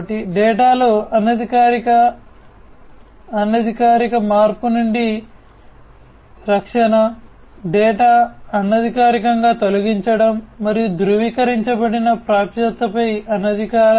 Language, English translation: Telugu, So, protection against unauthorized, unofficial change in the data; unauthorized on unofficial deletion of the data and uncertified access